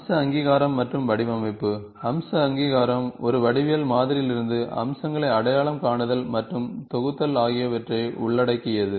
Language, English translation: Tamil, The feature recognition involves the identification and grouping of features, feature entities to get geometric model